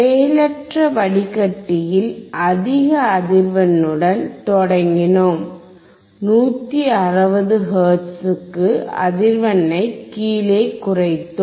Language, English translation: Tamil, In the passive filter, what we have seen, we started with the high frequency, and we reduced down to the frequency which was below 160 hertz